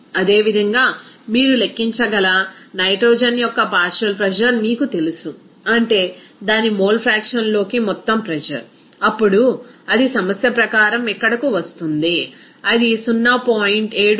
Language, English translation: Telugu, Similarly, you know partial pressure of nitrogen you can calculate, that is total pressure into its mole fraction, then it will come here as per problem it will be 0